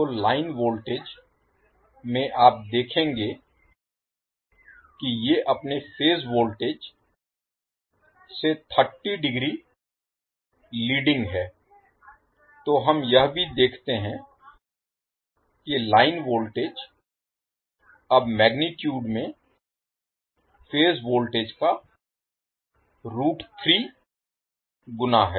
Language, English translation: Hindi, So in the line voltage you will see that these are leading with respect to their phase voltages by 30 degree, so we also see that the line voltage is now root 3 times of the phase voltage in magnitude